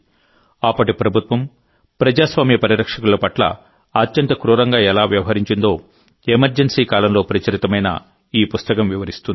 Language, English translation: Telugu, This book, published during the Emergency, describes how, at that time, the government was treating the guardians of democracy most cruelly